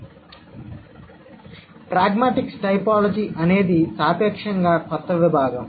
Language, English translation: Telugu, So, pragmatic typology is comparatively a new discipline or new domain